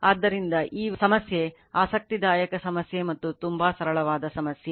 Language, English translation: Kannada, So, this problem is interesting problem and very simple problem